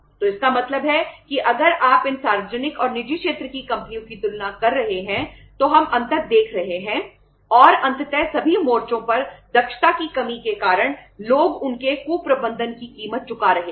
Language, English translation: Hindi, So it means if you compare these uh public and private sector companies we are seeing the difference and ultimately people have been paying the price for their mismanagement for the their say lack of efficiency on all the fronts